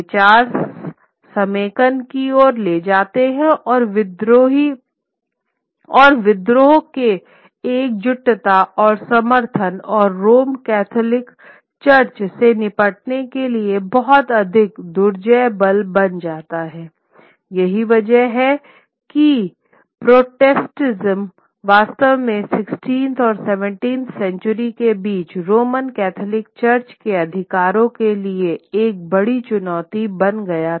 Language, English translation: Hindi, The ideas lead to consolidation of solidarity and support and the rebellion and becomes a much more formidable force for the Roman Catholic Church to deal with, which is why Protestantism really stands at its, stands at its and becomes a major challenge to the authority of the Roman Catholic Church between the 16th and 17th centuries